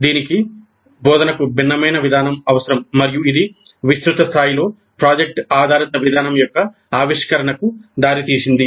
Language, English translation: Telugu, These need a different approach to instruction and that has led to the innovation of project based approach on a wide scale